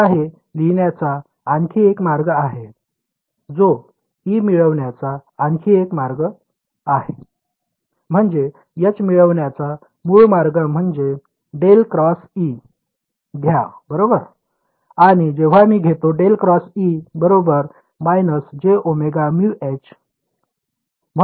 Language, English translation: Marathi, Now there is another way of writing this which is another way of getting E, I mean the original way of getting H was what take curl of E right and when I take curl of E, I should get minus j omega mu H right